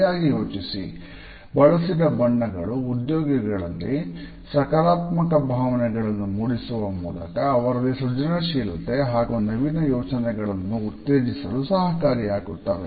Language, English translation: Kannada, A well planned use of colors which are able to stimulate positive feelings amongst the employees would lead them to better creativity and innovative ideas